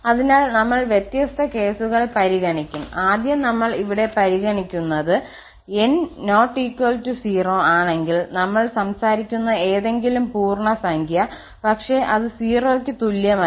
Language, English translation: Malayalam, So, we will consider different cases, first we are considering here that if n is not equal to 0 its n integer we are talking about, but which is not equal to 0